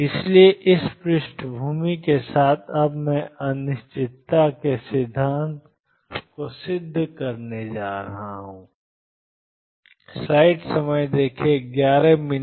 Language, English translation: Hindi, So, with this background I am now going to prove the uncertainty principle